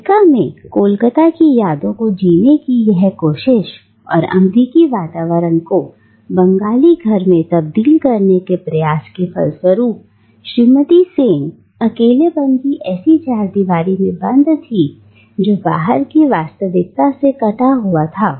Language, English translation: Hindi, Now, this very attempt to live the memories of Calcutta in America and this attempt to transform an American space into a Bengali home creates for Mrs Sen a cocoon of isolation that is cut off from the immediate reality outside